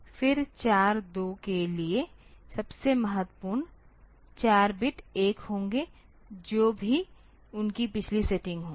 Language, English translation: Hindi, Then the most for 4 2 the most significant 4 bits will be 1, whatever be their previous setting